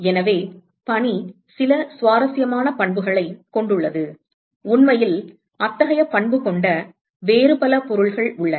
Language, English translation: Tamil, So, the snow has some interesting property; in fact, there are several other objects which has such property